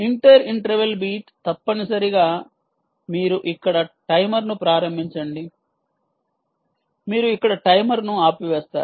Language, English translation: Telugu, inter interval beat is essentially: you start a timer here, you stop the timer here